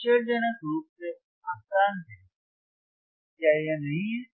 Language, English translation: Hindi, Amazingly easy, isn’t it